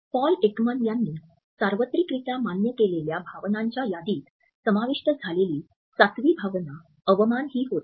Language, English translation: Marathi, The seventh emotion which was added to the list of universally acknowledged emotions by Paul Ekman was contempt